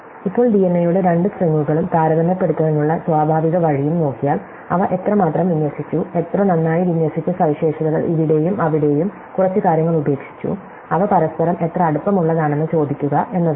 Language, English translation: Malayalam, So, now, if we look at two strings of DNA and natural way to compare, how close they are each other is to ask how much, how well they aligned features drop of few things here and there